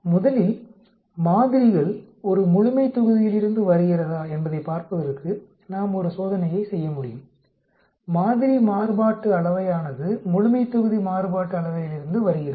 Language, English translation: Tamil, We can first do a test for seeing whether the sample comes from a population, the sample variance is coming from the population variance